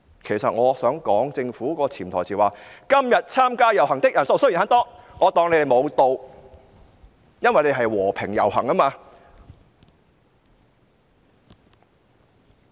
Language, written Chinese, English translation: Cantonese, "其實政府的潛台詞是："今天參加遊行的人數雖然很多，我卻當他們無到"，因為大家是和平遊行。, Actually the meaning between lines of the Government was the march though large was generally peaceful and orderly and I dont give it a damn because everyone was marching peacefully